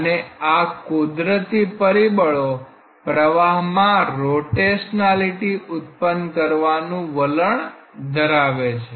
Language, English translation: Gujarati, And these natural factors have a tendency to create a rotationality in the flow